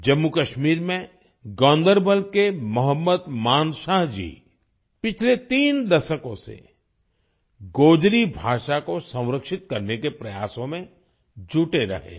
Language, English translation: Hindi, Mohammad Manshah ji of Ganderbal in Jammu and Kashmir has been engaged in efforts to preserve the Gojri language for the last three decades